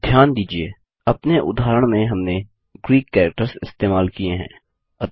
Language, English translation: Hindi, Notice that we have used Greek characters in our example